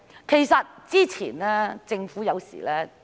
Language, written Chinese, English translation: Cantonese, 其實，之前政府有時......, In fact previously the Government has sometimes Expert advice is good